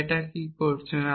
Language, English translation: Bengali, So, what have it done